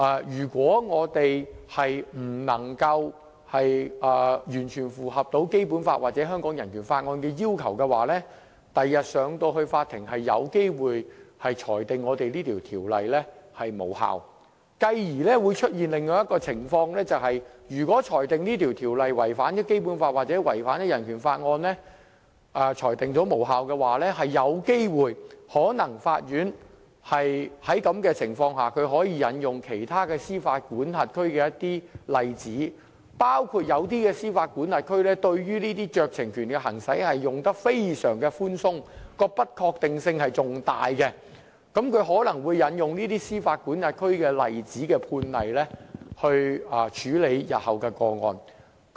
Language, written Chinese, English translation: Cantonese, 如果我們不能完全符合《基本法》或《香港人權法案條例》的要求，日後是有機會被法庭裁定《條例草案》無效的，繼而會出現另一種情況，就是如果《條例草案》被裁定違反《基本法》或《香港人權法案條例》而致無效，法院更可能在這種情況下，引用其他司法管轄區的一些例子，包括某些司法管轄區對於行使這些酌情權是非常寬鬆的，其不確定性更大，而法庭可能會引用司法管轄區的判例來處理日後的個案。, If the Bill fails to fully comply with the Basic Law or the Hong Kong Bill of Rights Ordinance it may be struck down by the court in future . In other words if the Bill is ruled null and void by the court for contravening the Basic Law or the Hong Kong Bill of Rights Ordinance this will lead to the situation where the court may draw reference from overseas including some jurisdictions which allow the exercise of the very loose discretion and thus gives rise to greater uncertainty . In addition the Court may refer to legal precedents in other jurisdictions when dealing with local cases in future